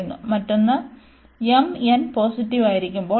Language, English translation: Malayalam, And the other one also for m n positive, it converges